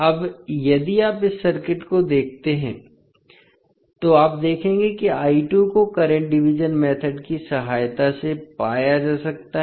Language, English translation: Hindi, Now, if you see this particular circuit, you will see that the I2 value that is the current I2 can be found with the help of current division method